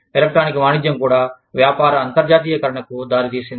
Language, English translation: Telugu, Electronic commerce has also led to, the internationalization of business